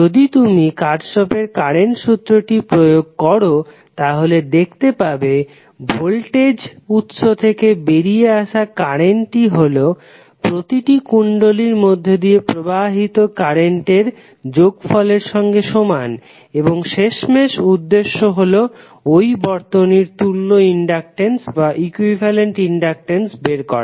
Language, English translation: Bengali, So if you if you apply Kirchhoff’s current law, you will get i that is the current coming from the voltage source is nothing but the summation of individual currents flowing in the individual inductors and finally the objective is to find out the value of equivalent inductance of the circuit